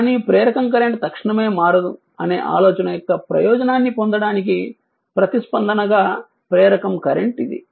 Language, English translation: Telugu, Select the inductor current as the response in order to take advantage of the idea that the inductor current cannot change instantaneously right